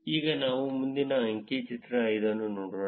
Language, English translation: Kannada, Now, let us look at the next figure, figure 5